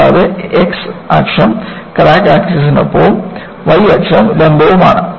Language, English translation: Malayalam, And, the x axis is along the crack axis and y axis is perpendicular to that